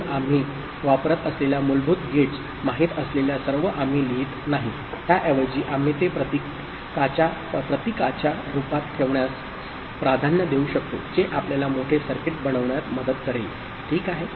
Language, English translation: Marathi, So, we will not write all those you know basic gates that we have used, instead we can prefer to put it in the form of a symbol which will help us in making bigger circuits, ok